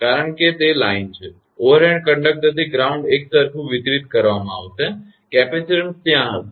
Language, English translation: Gujarati, The reason is that line; overhead conductor to the ground there will be uniformly distributed, capacitance will be there